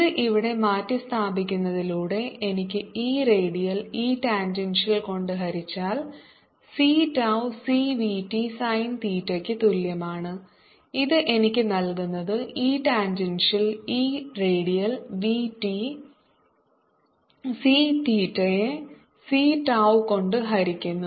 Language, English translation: Malayalam, substituting this here, i get e redial divided by e tangential is equal to c tau over v t sin theta, which give me e tangential is equal to e radial v t sin theta divided by c tau